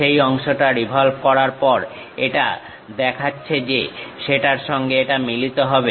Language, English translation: Bengali, After revolving that part, showing that it coincides that